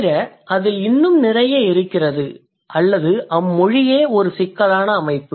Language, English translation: Tamil, Besides that, it also, there are more into it or this language itself is a complex system